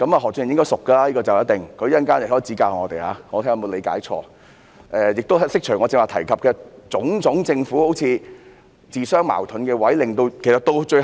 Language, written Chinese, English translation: Cantonese, 何俊賢議員對此一定熟悉，他稍後發言時可以指教我們，看看我有否理解錯誤，亦可以就我剛才提及政府種種自相矛盾的做法作出解說。, Mr Steven HO must be familiar with this . He may give us some advice in his speech later on and see if I have got it wrong . He may also give an explanation of the Governments contradictory measures that I have mentioned just now